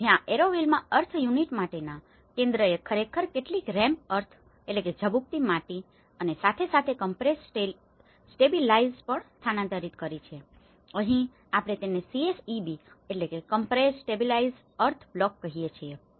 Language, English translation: Gujarati, So, where center for earth unit in the Auroville Center has actually transferred some rammed earth and as well the compressed stabilized, here we call it as CSEB, compressed stabilized earth block